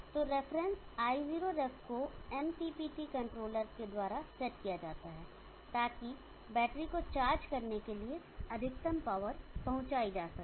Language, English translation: Hindi, So let the reference I0 reference be set by MPPT controller such that maximum power can be deliver to the battery for charging